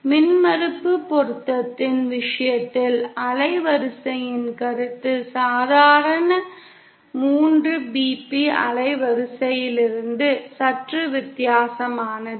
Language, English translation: Tamil, In the case of impedance matching, the concept of band width is a little different from the normal 3bp band width we are familiar with filters